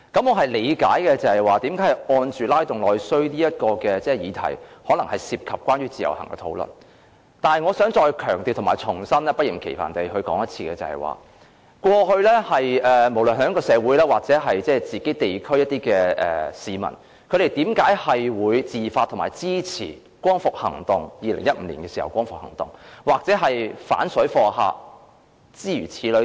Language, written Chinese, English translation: Cantonese, 我理解為何"拉動內需"的議題可能涉及關於自由行的討論，但我想再強調和不厭其煩地重申，過去無論是在香港社會或地區的市民，為何會自發地支持2015年的光復行動，又或是反水貨客等行動？, I understand why the issue of IVS was covered in their discussion on stimulating internal demand but I would like to reiterate and take the trouble to reiterate the reason why both society as a whole as well as the residents of individual districts supported the liberation protests in 2015 and the anti - parallel traders campaigns on their own initiative